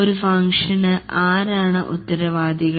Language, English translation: Malayalam, Who is responsible for a function